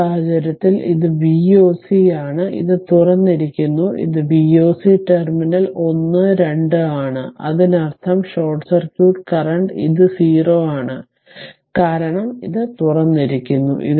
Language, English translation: Malayalam, So, in this case, this this is your V o c; this is open this is v o c terminal is 1 2, so that means, short circuit current it is 0 here it because that is open